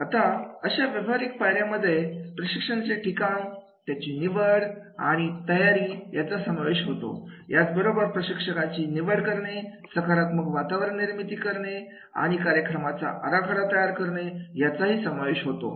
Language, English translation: Marathi, Now this practical step includes the selecting and preparing the training site, selecting the trainers, creating a positive learning environment and the program design